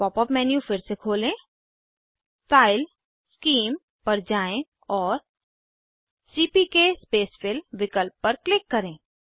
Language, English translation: Hindi, Open the pop up menu again, go to Style, Scheme and click on CPK spacefill option